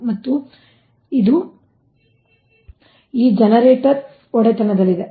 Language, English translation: Kannada, right, that this generators